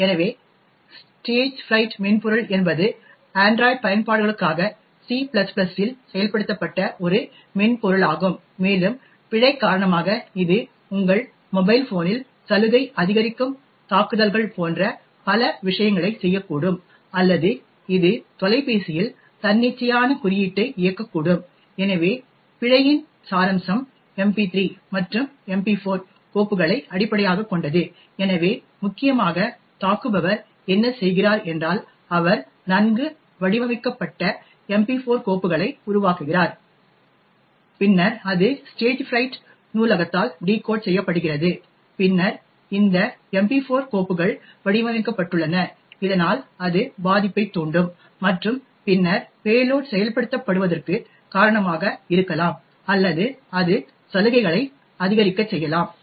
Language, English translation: Tamil, So, the Stagefright software is essentially a software implemented in C++ for android applications and because of the bug could actually do several things such as it could cause like privilege escalation attacks on your mobile phone or it could also execute arbitrary code on the phone, so the essence of the bug is based on MP3 and MP4 files, so essentially what the attacker does is he creates well crafted MP4 files which is then decoded by the Stagefright library and then these MP4 files are designed so that it could trigger the vulnerability and then cause the payload to executed or it could cause escalation of privileges